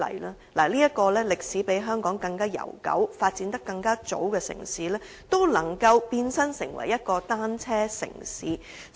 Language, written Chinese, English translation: Cantonese, 倫敦是一個歷史比香港悠久、發展更早的城市，亦能變身成為單車友善城市。, As a city with a longer history which began its development much earlier than Hong Kong London can also transform itself into a bicycle - friendly city